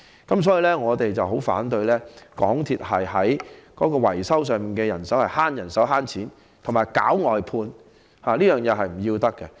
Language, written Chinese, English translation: Cantonese, 故此，我們十分反對港鐵減少維修人手，以節省金錢，以及搞外判，這是不可取的。, For this reason we strongly oppose the reduction of manpower by MTRCL to save money and arrange for outsourcing as doing so is not advisable